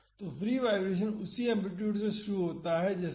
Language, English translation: Hindi, So, the free vibration starts with the same amplitude as this